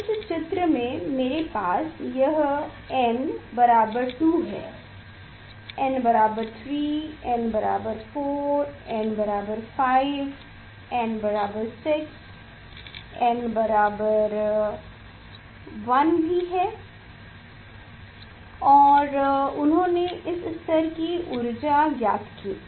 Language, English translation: Hindi, in this case I have this is the n equal 2, n equal to 3, n equal to 4, n equal to 5, n equal to 6